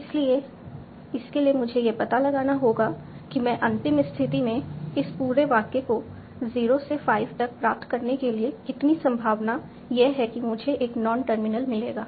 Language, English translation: Hindi, So, for that I need to find out what is the probability with which I can find a non terminal as in the final position for deriving this whole sentence, 0 to 5